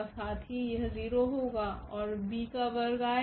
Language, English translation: Hindi, Also this will be 0 and b square will come